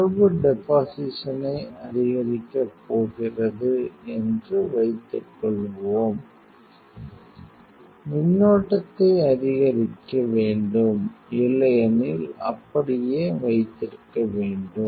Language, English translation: Tamil, Suppose you are going to increase the data deposition, you have to increase the current otherwise you keep as it is